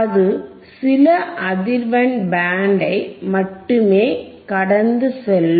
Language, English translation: Tamil, So, iIt will only pass certain band of frequency